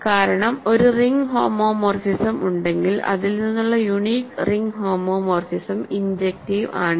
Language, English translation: Malayalam, Because, if there is a the ring homomorphism, the unique ring homomorphism from this is injective